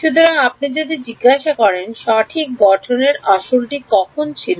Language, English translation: Bengali, So, if you ask when was the original formulation right